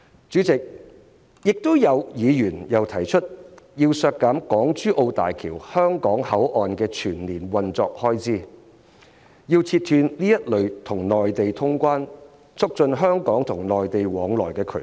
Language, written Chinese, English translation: Cantonese, 主席，議員又提出削減港珠澳大橋香港口岸的全年運作開支，要切斷這類與內地通關、促進香港與內地往來的渠道。, Chairman Members also proposed to reduce the annual operating expenses of the Hong Kong - Zhuhai - Macao Bridge Hong Kong Port with the aim to block the channel for cross - border travel and exchanges between Hong Kong and the Mainland